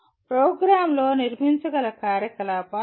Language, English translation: Telugu, These are the activities that can be built into the program